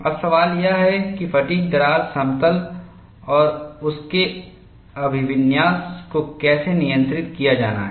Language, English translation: Hindi, Now, the question is, how the fatigue crack plane and its orientation has to be controlled